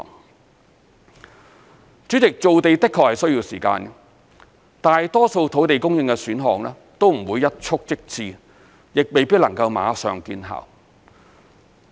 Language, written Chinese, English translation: Cantonese, 代理主席，造地的確需要時間，大多數土地供應選項都不會一蹴即至，亦未必能夠馬上見效。, Deputy President it actually takes time to create land . Most land supply options will not be able to create land overnight nor will they take effect immediately